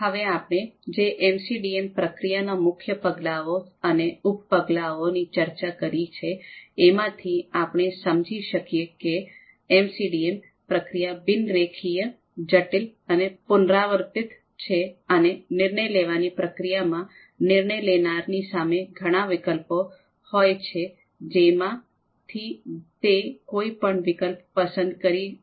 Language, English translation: Gujarati, Now whatever we have discussed about these main steps of MCDM process and sub steps as well, we can understand that the typical MCDM process is nonlinear, complex and iterative in the sense that decision making process it involves many parameters and the path you know any path can be taken by the decision maker